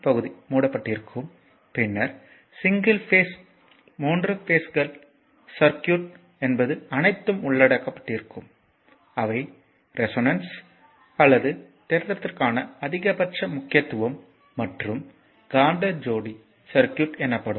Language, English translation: Tamil, And your first the dc part will be covered and then your single phase, three phases is circuit everything will be covered may have your including resonance or maximum importance for theorem and your what you call that magnetically couple circuits